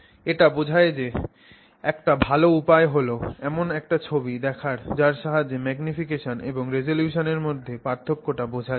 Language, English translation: Bengali, And a good way of understanding that is to see an image which shows you the difference between magnification and resolution